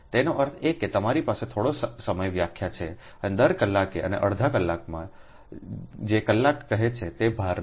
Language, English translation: Gujarati, that mean you have a some time definition and take the load at every hour and half an hour, what say hour